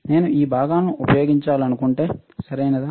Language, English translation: Telugu, If I want to use these components, right